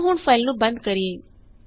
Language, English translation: Punjabi, Now close this file